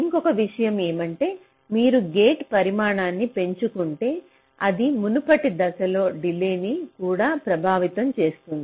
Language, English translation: Telugu, and another point is that if you increase the size of the gate, it may also affect the delay of the preceding stage